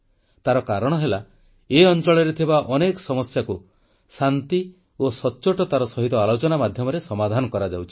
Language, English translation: Odia, And the biggest reason for that is that every issue of this region is being honestly and peacefully solved through dialogue